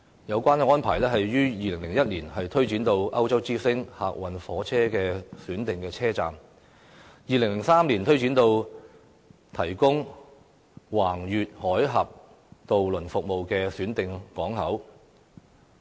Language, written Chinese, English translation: Cantonese, 有關安排於2001年推展至歐洲之星客運火車的選定車站 ，2003 年更推展至提供橫越海峽渡輪服務的選定港口。, The arrangement was extended to selected passenger train stations of Eurostar in 2001 and selected cross - Channel ferry ports in 2003 . As a cross - boundary high - speed rail the Eurostar is featured to implement the juxtaposed control arrangements ie